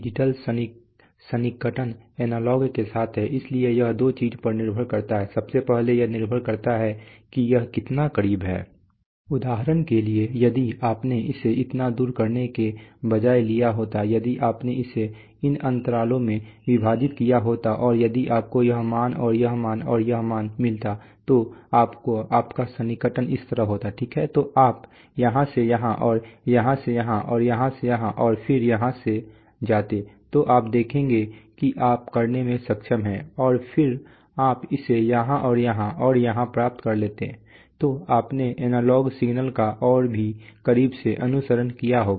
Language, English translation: Hindi, Now the question is so obviously, you can you can understand that how accurate this digital approximation is with the analog one, depends on what, so it depends on two things, firstly it depends on how close Like for example, if you had, if you had taken rather than doing it this far, if you had divided it into let us say these intervals and if you have got this value and this value and this value, then your approximation would have been like this, right, so you would have gone from here to here from here to here and from here to here and then here to, so you will see that you are able to do and then you would have got it here and here and here, so you would have followed the analog signal much more close